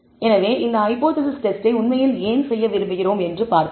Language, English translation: Tamil, So, let us look at why would want to actually do this hypothesis test